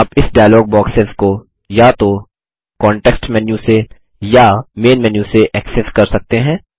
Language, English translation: Hindi, You can access these dialog boxes either from the Context menu or from the Main menu